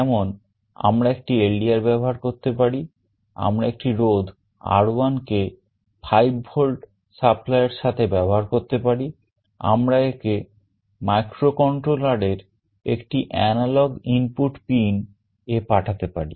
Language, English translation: Bengali, Like we can use an LDR, we can use a resistance R1 with a 5V supply, we can feed it to one of the analog input pins of the microcontroller